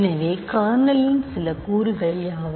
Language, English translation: Tamil, So, what are some elements of the kernel